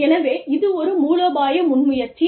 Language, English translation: Tamil, So, that is a strategic initiative